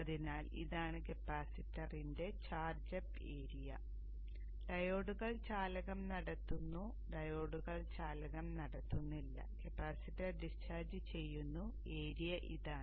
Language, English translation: Malayalam, So this is the area that is a charge charge up of the capacitor when it is conducting when the diodes are conducting the diodes are not conducting capacitors is discharging and the area is this